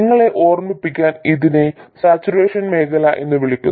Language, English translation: Malayalam, Just to remind you this is also called the saturation region